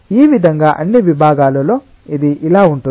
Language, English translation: Telugu, in this way, in all sections it will be like this